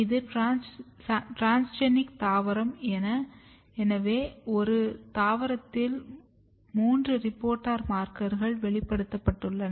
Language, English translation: Tamil, So, this is transgenic plant where three reporter markers has been expressed in the same plant